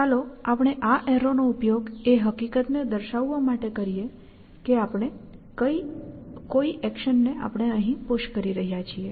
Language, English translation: Gujarati, So, let us say we use this arrow to depict the fact that we have pushing an action, essentially